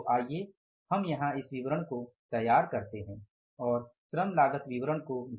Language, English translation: Hindi, So let's prepare this statement here and labor cost variance